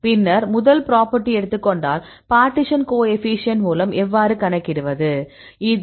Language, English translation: Tamil, Then take the first property; I will tell you the partition coefficient how to calculate this